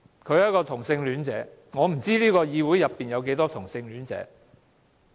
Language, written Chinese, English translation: Cantonese, 他是一名同性戀者，而我不知道這議會內有多少同性戀者。, He is homosexual and I do not know how many homosexuals there are in this Council